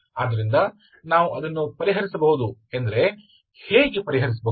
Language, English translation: Kannada, So we can solve it actually we can solve it, how do we solve it